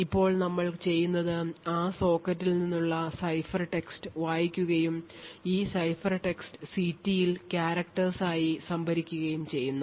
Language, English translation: Malayalam, Now what we do is we read the ciphertext from that socket and this ciphertext is stored is just a character which is stored in ct